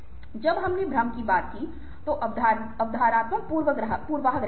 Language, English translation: Hindi, when we talked of illusions, illusions, ah, were perceptual biases